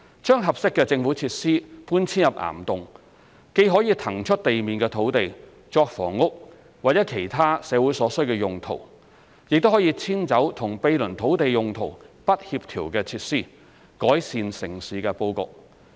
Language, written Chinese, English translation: Cantonese, 把合適的政府設施搬遷入岩洞，既可以騰出地面土地作房屋或其他社會所需的用途，也可以遷走與毗鄰土地用途不協調的設施，改善城市布局。, The relocation of suitable existing government facilities to caverns can on one hand release above - ground sites for housing and other uses to meet community needs and on the other hand can relocate facilities that are incompatible with the surrounding environment and land uses nearby for improvement of the urban layout